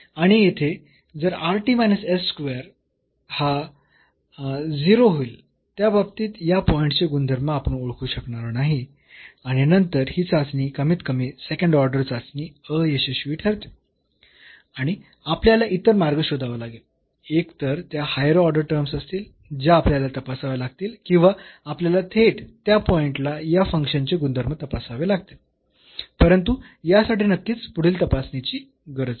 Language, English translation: Marathi, And here rt minus s square will be 0 in that case we cannot identify the behavior of this point and then this test at least the second order test fails and we have to find some other ways; either they the higher order terms we have to investigate or we have to directly investigate the behavior of this function at that point, but it is certainly needs further investigation